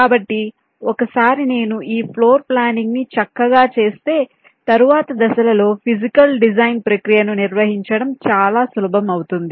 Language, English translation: Telugu, so once i do this planning in a nice way, the task of laying out and handling the physical design process in subsequent stages becomes much easier